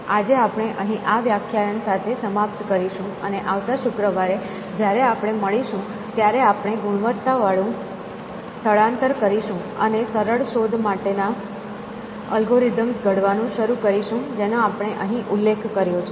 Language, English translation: Gujarati, So, we will stop here and next on Friday when we meet, we will have quality type shift and start devising algorithms for simple search that just we mentioned essentially